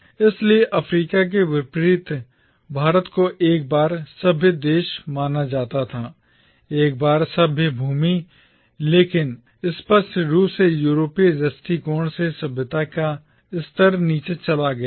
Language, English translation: Hindi, So, unlike Africa, India was regarded as a once civilised country, a once civilised land but clearly the level of civilisation from the European perspective had gone down